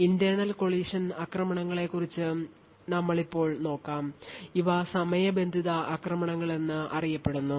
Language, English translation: Malayalam, So, we will now look at internal collision attacks these are properly known as time driven attacks